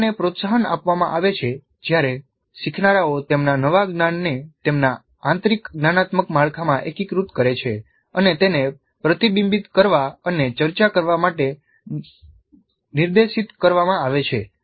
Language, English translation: Gujarati, Learning is promoted when learners integrate their newly acquired knowledge into their internal cognitive structures by being directed to reflect and discuss it